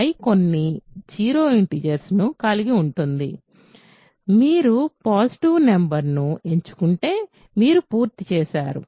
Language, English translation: Telugu, So, I contains some non zero integers by assumption, if you happen to pick a positive number you are done